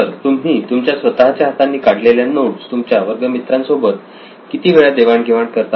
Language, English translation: Marathi, So how frequently do you share your handwritten class work with your classmates